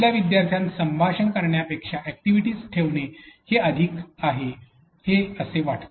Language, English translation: Marathi, It looks like it is more of putting activities to your students than putting of a conversation